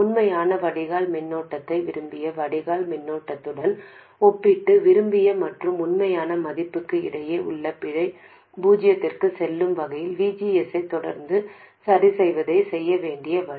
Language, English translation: Tamil, The way to do it is to compare the actual drain current to the desired drain current and continuously adjust VGS such that the error between the desired and actual values goes to zero